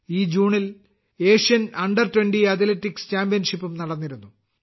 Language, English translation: Malayalam, The Asian under Twenty Athletics Championship has also been held this June